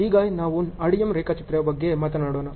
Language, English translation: Kannada, Now, let us talk about the RDM diagrams